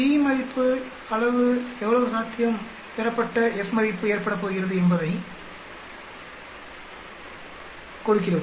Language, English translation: Tamil, The p value gives how likely obtained the F value is going to occur